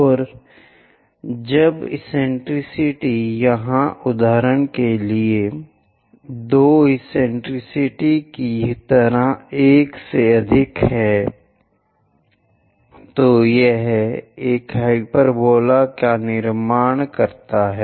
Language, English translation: Hindi, And when eccentricity is greater than 1 for example like 2 eccentricity here, it construct a hyperbola